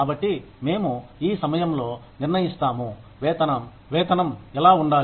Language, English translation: Telugu, So, we decide at this point, what should the wage be